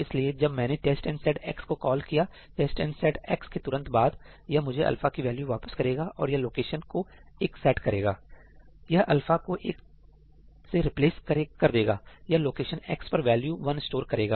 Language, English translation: Hindi, So, when I call test and set X, immediately after test and set X, itís going to return me the value alpha and it is going to set this location to 1; it is going to replace alpha with 1; it is going to store the value 1 at location X